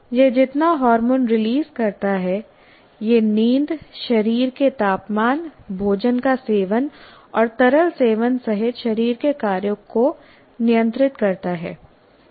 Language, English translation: Hindi, By the amount of hormones it releases, it moderates the body functions including sleep, body temperature, food intake and liquid intake